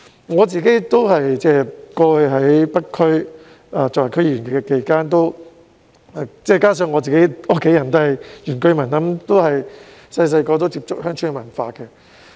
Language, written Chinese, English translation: Cantonese, 我曾擔任北區區議員，加上我的家人也是原居民，自小便接觸鄉村文化。, I was a member of the North District Council some time ago and my family members are indigenous inhabitants so I have been able to experience the rural culture ever since childhood